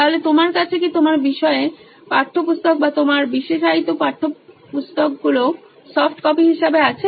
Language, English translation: Bengali, So do you have your subject textbooks or your specialisation textbooks as softcopies available to you